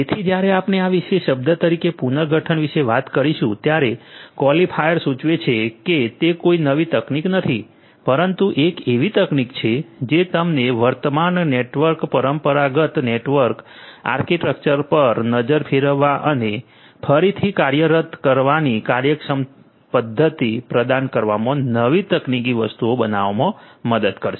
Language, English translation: Gujarati, So, when we talk about restructuring as this particular term the qualifier suggests that it is not a new technology, but a technology that will help you to reengineer to reshape to relook at the current network the conventional network architecture and provide an efficient mechanism of doing things